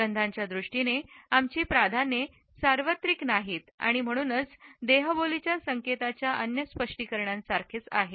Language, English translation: Marathi, Our preferences in terms of smell are not universal and therefore, similar to other interpretations of non verbal codes